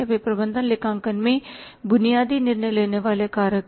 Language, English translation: Hindi, They are the basic decision making factors in the management accounting